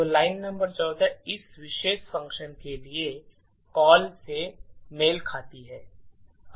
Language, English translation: Hindi, So, line number 14 corresponds to the call to this particular function